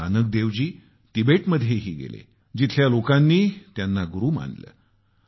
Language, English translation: Marathi, Guru Nanak Dev Ji also went to Tibet where people accorded him the status of a Guru